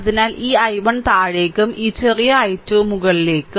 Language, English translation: Malayalam, So, this I 1 is downwards right and this small i 2 upwards